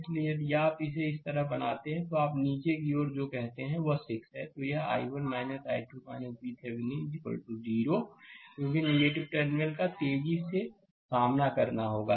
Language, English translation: Hindi, So, if you make it like this take your what you call in the downwards, it will be 6 into that i 1 minus i 2 minus V Thevenin is equal to 0